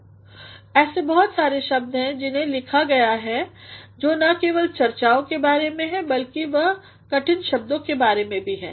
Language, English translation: Hindi, Because, there are so many words which are written which are not only about discussions, but they are also about difficult words